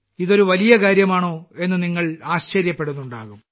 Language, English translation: Malayalam, You must be wondering what the entire matter is